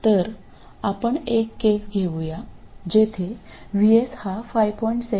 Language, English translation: Marathi, So, let me take a case where VS is 5